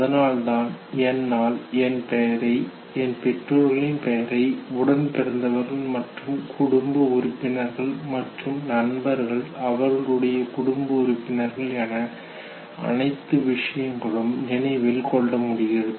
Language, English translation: Tamil, And therefore when I remember my name, the name of my parents, siblings, other members of the family, friends, their family members okay